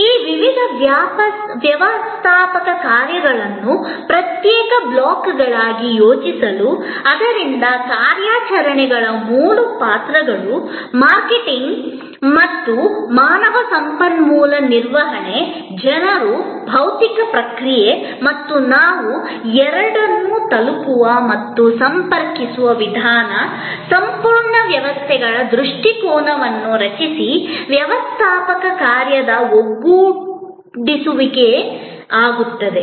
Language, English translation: Kannada, To think of these various managerial functions as separate blocks, so three roles of operations, marketing and human resource management, people, physical processes and the way we reach out and connect the two, create a complete systems orientation, in separable togetherness of the managerial function